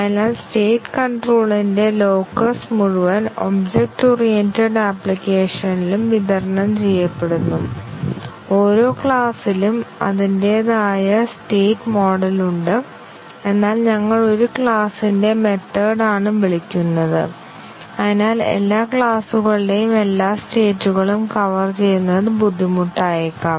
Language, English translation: Malayalam, So, the locus of the state control is distributed over the entire object oriented application each class has it is own state model, but we are calling method of one class and therefore, covering all the states of all classes may become difficult